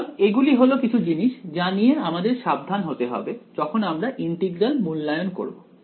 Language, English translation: Bengali, So, these are these are some of the things that you have to be careful about when we evaluate this integral